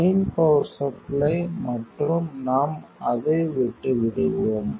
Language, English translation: Tamil, Main power supply and we will leave it